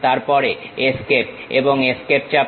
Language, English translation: Bengali, Then press Escape and Escape